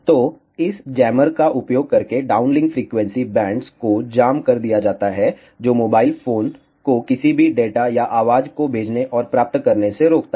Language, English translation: Hindi, So, the downlink frequency bands are jammed using this jammer which prevent the mobile phones from sending and receiving any data or voice